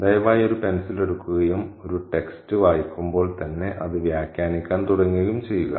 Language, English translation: Malayalam, Please pick up a pencil and start annotating the text when you read it